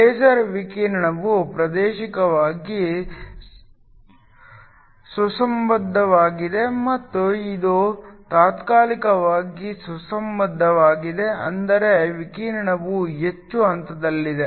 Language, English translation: Kannada, LASER radiation is also spatially coherent and it is also temporally coherent, which means the radiation is highly in phase